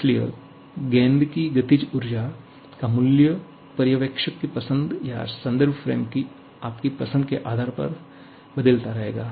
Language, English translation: Hindi, So, the value of the kinetic energy of the ball will keep on changing depending upon what is your choice of observer or I should say what is your choice of the reference frame